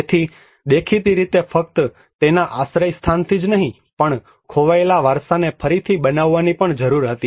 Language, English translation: Gujarati, So there was obviously a need of reconstruction not only from the shelter point of it but also to rebuild the lost heritage